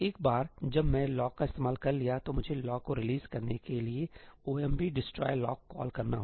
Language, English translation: Hindi, Once I am done with the lock, I have to call ëomp destroy lockí to release the lock